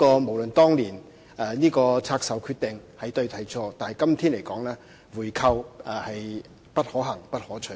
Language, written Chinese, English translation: Cantonese, 無論當年拆售的決定是對或是錯，在今天來說，回購是不可行和不可取的。, Irrespective of whether the divestment decision previously made was right or wrong it is both infeasible and undesirable to buy back Link REIT now